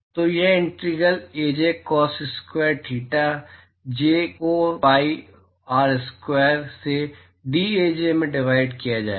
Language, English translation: Hindi, So, this will be integral Aj cos square theta j divided by pi R square into dAj